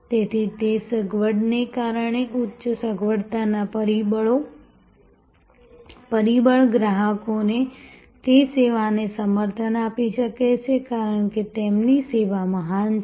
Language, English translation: Gujarati, So, because of that convenience, high convenience factor customers may patronize that service not because their service is great